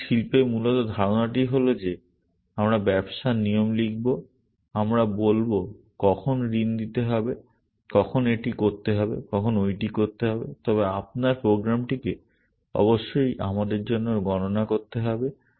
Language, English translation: Bengali, So, basically the idea in the industry is that we will write business rules, we will say when to give a loan, when to do this, when to do that, but your program must do the computations for us